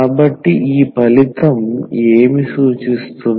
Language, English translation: Telugu, So, what this result is suggesting